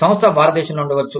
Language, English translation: Telugu, The company, may be in India